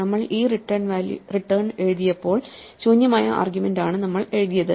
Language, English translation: Malayalam, So, when we wrote this return, we wrote with the empty argument